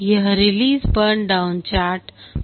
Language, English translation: Hindi, This is the release burn down chart